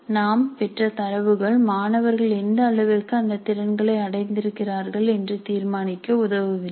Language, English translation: Tamil, The data that we get is of no use to us in determining what is the level to which the students have acquired those competencies